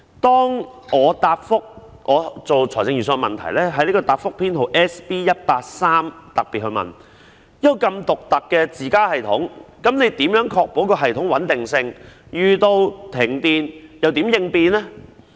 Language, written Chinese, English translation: Cantonese, 當我就財政預算案擬備問題時，在答覆編號 SB183 特別問到，一個如此獨特的"自家"系統，如何確保系統的穩定性，在遇上停電時會如何應變呢？, When I prepared questions in respect of the Budget I particularly asked in Reply Serial No . SB183 how they could ensure the stability of such a unique system created by themselves and how they would address emergencies in the event of power failure